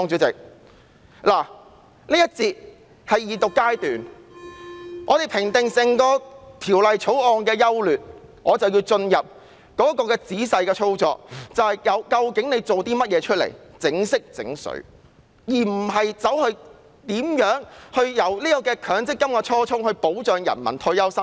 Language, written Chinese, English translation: Cantonese, 這一節是二讀階段，如果要評定整項《條例草案》的優劣，便要進入仔細的操作，究竟政府裝模作樣做了些甚麼，有否考慮強積金的初衷，即保障人民的退休生活。, If we have to assess the merits of the Bill we have to go into the details . What has the Government really done with all its pretences? . Has it considered the original intent of the MPF System which is to provide the people with retirement protection?